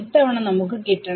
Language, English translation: Malayalam, This time we should get it right